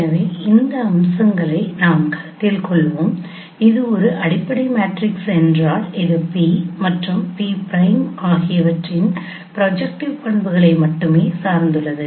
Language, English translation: Tamil, So let us consider these aspects that if that is a fundamental matrix it only depends on the projective properties of p and pre prime